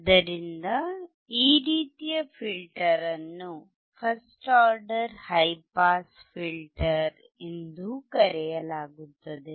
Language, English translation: Kannada, So, this type of filter is also called first order high pass filter